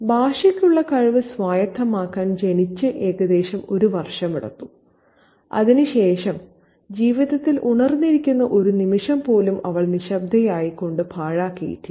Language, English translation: Malayalam, It took her about a year after being born to acquire the talentful language and since then she has not wasted a single moment of her life remaining silent